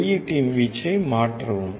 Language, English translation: Tamil, Change the amplitude of the output